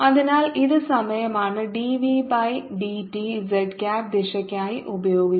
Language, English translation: Malayalam, this is d v by d t z cap for the direction